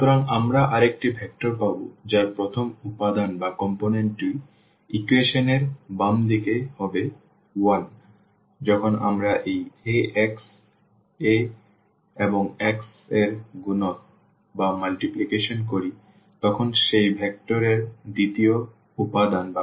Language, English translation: Bengali, So, we will get another vector whose first component will be this left hand side of the equation 1; the second component of that vector when we do multiplication of this Ax A and x